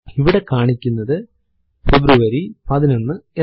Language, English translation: Malayalam, Here it is showing February 11